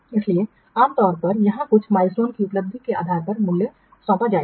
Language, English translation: Hindi, So, normally here the value will be assigned based on achievement of some milestones